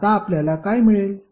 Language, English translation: Marathi, Now, what we get